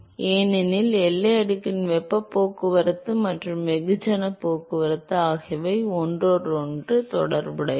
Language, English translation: Tamil, Because the heat transport and mass transport of the boundary layer are related to each other